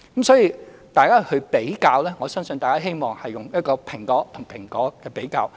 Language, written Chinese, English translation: Cantonese, 所以，大家作比較時，我希望大家是以"蘋果"和"蘋果"作比較。, Therefore when Members draw comparisons I hope they are comparing an apple with an apple